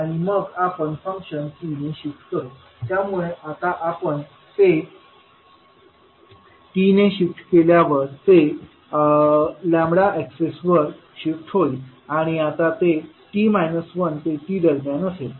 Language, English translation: Marathi, And then we will shift the function by t so now if you shift it by t it will shift in the lambda axis and it will range now between t minus one to t